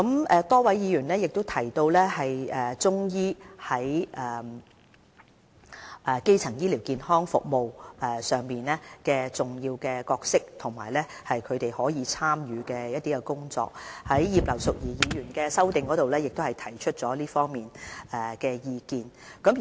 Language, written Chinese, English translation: Cantonese, 此外，多位議員也提及中醫在基層醫療健康服務的重要角色及可以參與的範疇，葉劉淑儀議員也有在其修正案中提出這方面的意見。, Some Members have emphasized the importance of Chinese medicine and its role in the development of primary health care services . Mrs Regina IP has also brought up the importance of Chinese medicine in her amendment